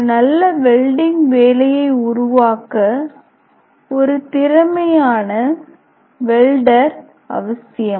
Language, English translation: Tamil, So, a skill welder is must produce a good welding job